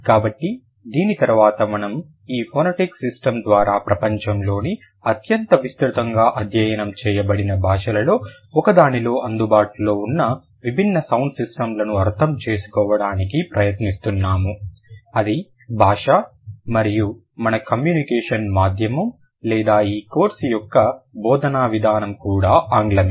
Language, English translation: Telugu, So, after this we were trying to understand how this phonetic system or the, or how, what are the different sound systems available in one of the most widely studied languages of the world, that is English, which is also lingua franca and our medium of communication or the mode of instruction for this course is also English